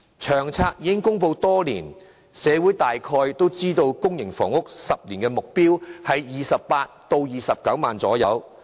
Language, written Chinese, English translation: Cantonese, 《長遠房屋策略》已公布多年，社會大概都知道公營房屋的10年目標是興建約28萬至29萬個單位。, As LTHS has been published for many years the community probably know that the public housing supply target for the coming ten - year period is around 280 000 to 290 000 units